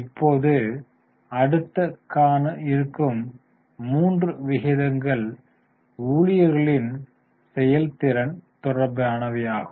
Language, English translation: Tamil, Now the next three ratios are related to performance of employees